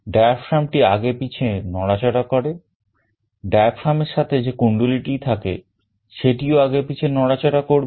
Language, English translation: Bengali, The diaphragm moves back and forth, the coil that is attached to a diaphragm will also move back and forth